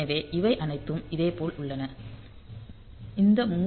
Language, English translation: Tamil, So, all these are there similarly this 3